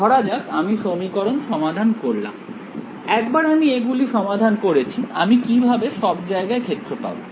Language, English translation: Bengali, Let us say, I solve these equations; once I solve these equations, how will I find the field everywhere